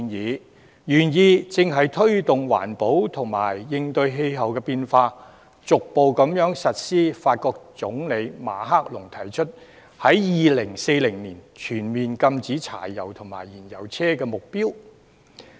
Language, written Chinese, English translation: Cantonese, 該建議的原意正是推動環保及應對氣候變化，逐步落實法國總統馬克龍所提出，在2040年全面禁止柴油及燃油車的目標。, The very intention of the said proposal is to promote environmental protection and to tackle climate change by gradually working towards the target proposed by French President Emmanuel MACRON ie . banning all diesel and petrol cars by 2040